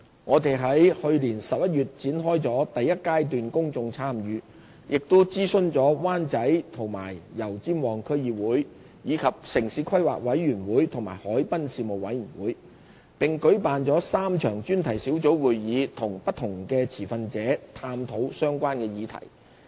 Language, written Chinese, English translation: Cantonese, 我們於去年11月展開了第一階段公眾參與，亦已諮詢灣仔和油尖旺區議會，以及城市規劃委員會和海濱事務委員會，並舉辦了3場專題小組會議與不同持份者探討相關議題。, We launched the Stage 1 Public Engagement PE1 in November 2016 . We consulted the District Councils of Wan Chai and Yau Tsim Mong as well as the Town Planning Board and Harbourfront Commission . We also held three focus group meetings to discuss relevant topics with various stakeholders